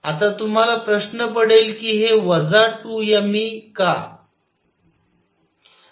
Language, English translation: Marathi, Now, you may wonder why this minus 2 m E